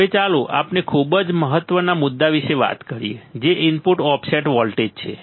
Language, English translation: Gujarati, Now, let us talk about very important point which is the input offset voltage umm input offset voltage